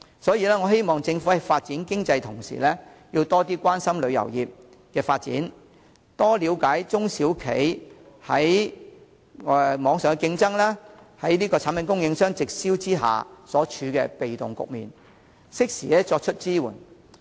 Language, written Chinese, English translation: Cantonese, 所以，我希望政府在發展經濟的同時，多關心旅遊業的發展，多了解中小旅行社在網上競爭及產品供應商直銷下所處的被動局面，適時作出支援。, For this reason I hope that the Government will while pursuing economic development have more regard to the development of the tourism industry understand more the passive position of small and medium travel agencies in the face of online competition and direct selling from product suppliers and provide timely assistance